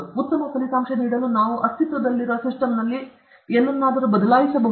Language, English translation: Kannada, Can we change something in the existing system to give better results